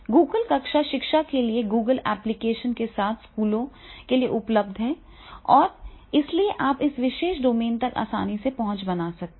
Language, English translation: Hindi, Google classroom is available to schools with a Google apps for the education and therefore in GAfE domain and therefore you can make the easy access to this particular domain